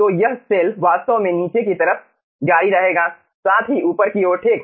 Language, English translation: Hindi, so this cell will be actually continuing in the bottom side as well as top side right